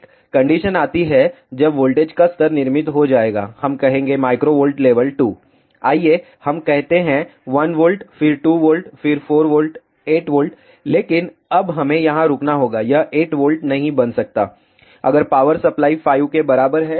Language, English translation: Hindi, A condition comes when the voltage levels will get built up from, let us say microvolt level 2, let us say 1 volt, then 2 volt, then 4 volt, 8 volt, but now we have to stop here it cannot become 8 volt suppose, if the power supply is equal to 5